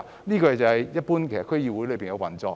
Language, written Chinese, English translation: Cantonese, 這是一般區議會的運作情況。, This is the general picture of how a DC operates